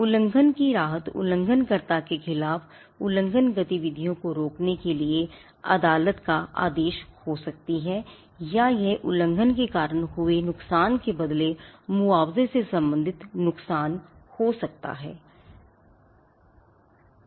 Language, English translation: Hindi, The relief of infringement can be injunction getting a court order against the infringer and stopping the activities the infringing activities or it could also be damages pertains to compensation in lieu of the loss suffered by the infringement